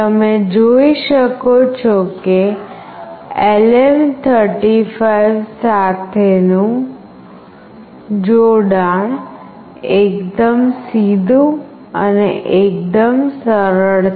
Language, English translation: Gujarati, You can see that the connection with LM35 is fairly straightforward and fairly simple